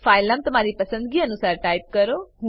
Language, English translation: Gujarati, Type the file name of your choice